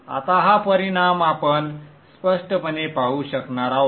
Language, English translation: Marathi, Now this effect we will be able to see clearly